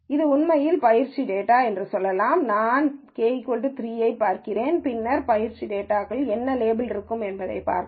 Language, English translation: Tamil, Let us say this is actually the training data itself and then I want to look at k equal to 3 and then see what labels will be for the training data itself